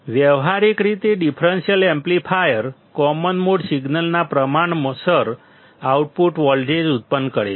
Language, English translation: Gujarati, Practically, the differential amplifier produces the output voltage proportional to common mode signal